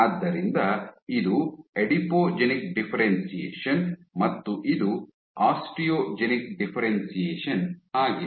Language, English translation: Kannada, So, this is Adipogenic differentiation and this is osteogenic differentiation